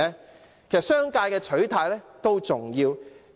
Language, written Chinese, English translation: Cantonese, 其實，商界的取態也重要。, Indeed the position of the business sector is important